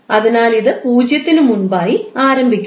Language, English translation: Malayalam, So that means that it is starting before the 0 value